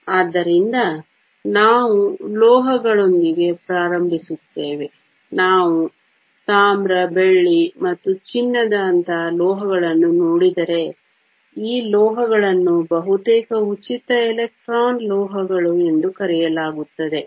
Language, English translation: Kannada, So, we will start with metals; if we look at metals like copper, silver and gold, so these metals are called nearly free electron metals